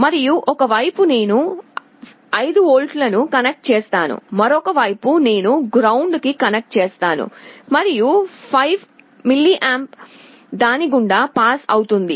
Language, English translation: Telugu, And let us say on one side I connect 5 volts, on the other side I connect ground, and I want a current of, let us say, 5mA to pass through it